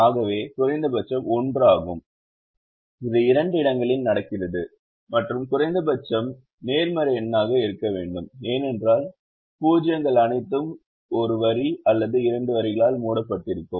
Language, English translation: Tamil, it happens in two places and the minimum has to be a positive number because the zeros are all covered with one line or two lines